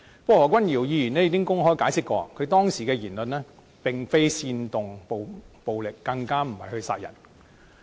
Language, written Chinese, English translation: Cantonese, 不過，何君堯議員已經公開解釋，他當時的言論並非煽動暴力，更不是要殺人。, Nevertheless Dr Junius HO has explained publicly that his remarks were not trying to incite violence or killing people . I believe Dr HO has gained certain profound feelings this time around